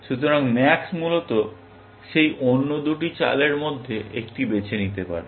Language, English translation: Bengali, So, max can choose one of those other two moves, essentially